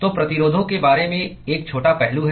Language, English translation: Hindi, So, there is 1 small aspect about resistances